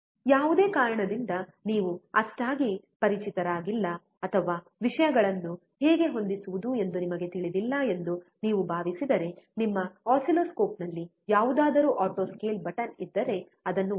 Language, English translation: Kannada, In case out of any reason you are not so familiar or you feel that you don’t know how to adjust the things, just press auto scale button if there is one on your oscilloscope